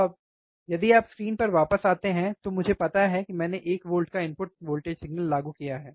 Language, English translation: Hindi, Now, if you come back to the screens, I have, I know I much applied I have applied voltage input signal